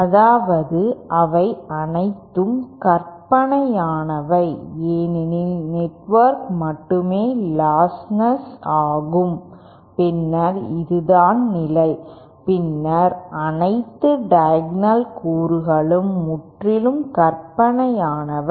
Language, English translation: Tamil, That is they are all imaginary see for only the network is lostless then this is the condition then all the diagonal elements are purely imaginary